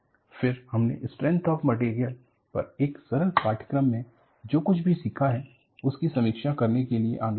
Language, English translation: Hindi, Then, we moved on to a review, what we have learnt in a simple course on strength of materials